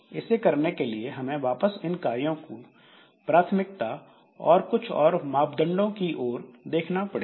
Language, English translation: Hindi, So, for doing this again I have to look into the priorities of these jobs and many other parameters